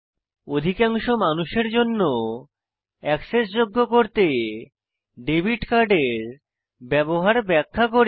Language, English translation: Bengali, In order to make it accessible to most people , i am going to demonstrate the use of debit card